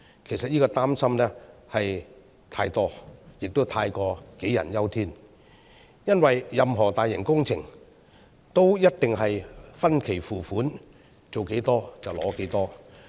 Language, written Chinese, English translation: Cantonese, 其實這個擔心是過多的，也太過杞人憂天，因為任何大型工程都一定是分期付款，做多少就取多少。, In fact this worry is excessive and unjustified because the cost for any large - scale project will definitely be paid in installments according to the progress of the work